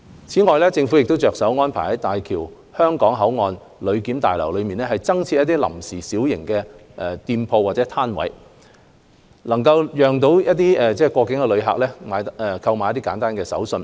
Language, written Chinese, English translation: Cantonese, 此外，政府正着手安排在大橋香港口岸旅檢大樓內增設臨時小型店鋪或攤位，讓旅客購買簡單的手信。, In addition the Government is arranging for the setting up of temporary small - scale shops or booths in HZMB BCF to allow travellers to buy souvenirs therein